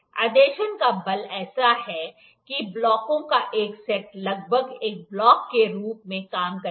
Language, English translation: Hindi, The force of adhesion is such that a set of blocks will almost serve as a single block